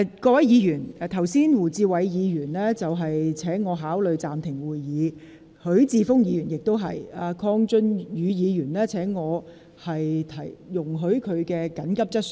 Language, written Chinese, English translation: Cantonese, 各位議員，胡志偉議員剛才請我考慮暫停會議，許智峯議員亦然，而鄺俊宇議員則請我容許他提出緊急質詢。, Members Mr WU Chi - wai asked me just now to consider suspending the meeting . Mr HUI Chi - fung made the same request and Mr KWONG Chun - yu asked me to allow him to raise an urgent question